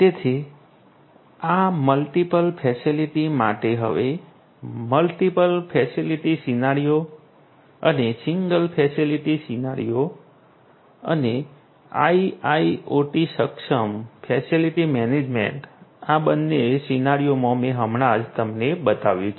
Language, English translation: Gujarati, So, this will be for multi facilities right multiple facility scenario and the single facility scenario and IIoT enabled facility management in both of these scenarios is what I just showcased you